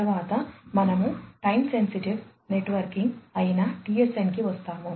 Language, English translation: Telugu, Next, we come to the TSN, which is the Time Sensitive Networking